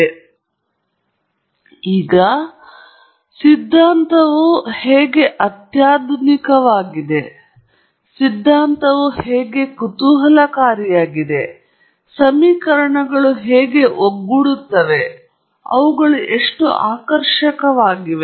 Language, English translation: Kannada, So, it does not matter, how sophisticated the theory looks, how interesting the theory looks, how fascinating the equations are that have come together and so on